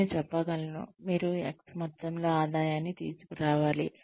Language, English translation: Telugu, We could say, you should bring in X amount of revenue